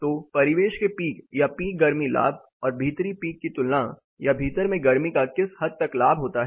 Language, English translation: Hindi, So, between the ambient peak of the peak heat gain verses the indoor peak are to what extent a heat gain happens indoor